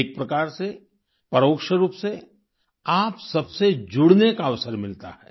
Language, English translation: Hindi, In a way, indirectly, I get an opportunity to connect with you all